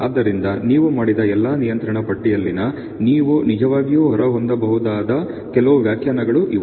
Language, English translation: Kannada, So, these are some of the interpretation that you can really have from all the control charts experiments that you have done